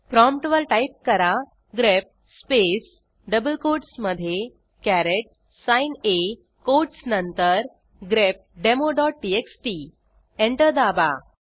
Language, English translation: Marathi, We type at the prompt: grep within double quotes caret sign A after the quotes grepdemo.txt Press Enter